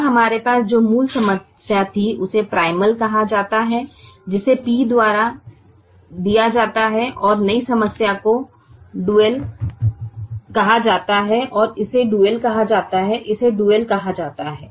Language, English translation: Hindi, now, the original problem that we had is called the primal, which is given by p, and the new problem is called the dual, is called the dual